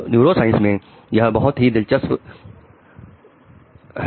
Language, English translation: Hindi, It's a very interesting time in neurosciences